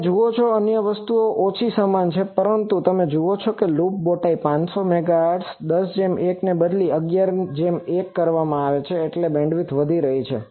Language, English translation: Gujarati, You see other things are more or less same, but loop bowtie you see 500 Megahertz is 10 is to 1 has been changed to 11 is to 1 that means, the bandwidth is increasing